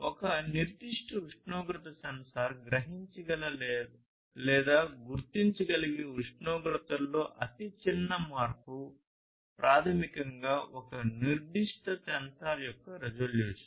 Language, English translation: Telugu, So, the smallest change in temperature for instance that a particular temperature sensor is able to sense or detect is basically the resolution of a particular sensor